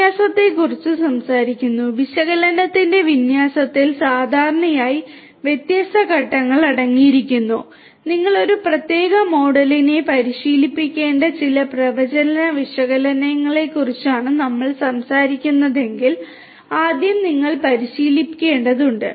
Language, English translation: Malayalam, Talking about the deployment; deployment of analytics typically consists of different steps first you have to train if we are talking about some kind of predictive analytics you have to train a particular model